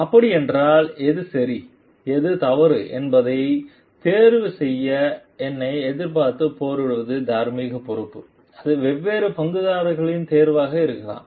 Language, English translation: Tamil, If like it is a moral responsibility to fight to me to choose what is right and what is wrong and it may be a choice of the different stakeholders